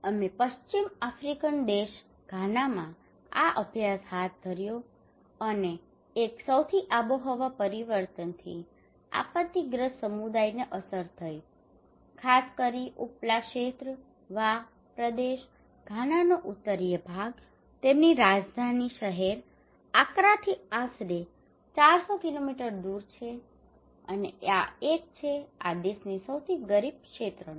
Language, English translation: Gujarati, We conducted this study in Ghana a West African country and one of the most climate change impacted a disaster prone community particularly the upper region, Wa region, the northern part of Ghana is around four hundred kilometre from the Accra their capital city and is one of the poorest region of this country